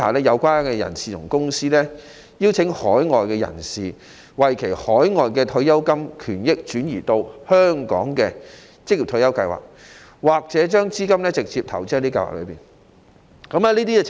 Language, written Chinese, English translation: Cantonese, 有關的代理人邀請海外人士將其海外退休金權益轉移到香港的職業退休計劃，或把資金直接投資在香港的職業退休計劃。, The agents invite overseas individuals to transfer their overseas pension benefits to the OR Schemes in Hong Kong or make direct investment in the OR Schemes in Hong Kong